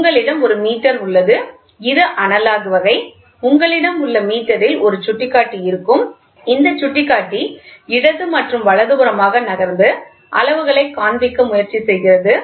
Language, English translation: Tamil, You have a meter, it is an analogous type; you have a meter and you will have a pointer, this pointer moves left and right whatever it is and then it tries to tell you what is to display